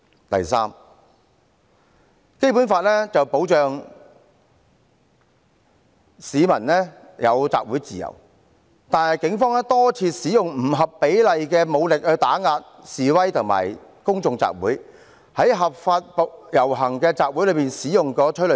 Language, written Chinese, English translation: Cantonese, 第三，《基本法》保障市民有集會自由，但警方多次使用不合比例武力打壓示威和公眾集會，在合法的遊行集會中使用催淚彈。, Third the freedom of assembly of the people is protected by the Basic Law yet the Police have repeatedly used disproportionate force to suppress demonstrations and public assemblies and fired tear gas rounds in legal processions and assemblies